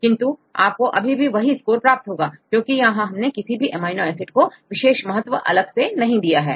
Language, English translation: Hindi, But even in this case you will get a same score, because we do not give weightage to any amino acid residues